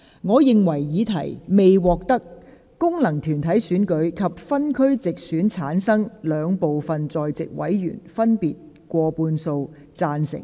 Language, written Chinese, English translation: Cantonese, 我認為議題未獲得經由功能團體選舉產生及分區直接選舉產生的兩部分在席委員，分別以過半數贊成。, I think the question is not agreed by a majority respectively of each of the two groups of Members that is those returned by functional constituencies and those returned by geographical constituencies through direct elections who are present